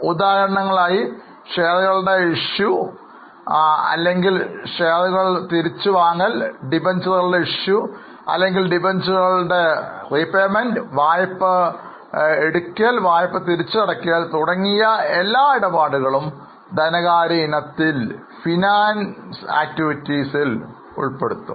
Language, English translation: Malayalam, For example, issue of shares or buyback of shares, issue of debentures or redemption of debenture, taking loan, returning or repaying loan, all these transactions would be in the financing item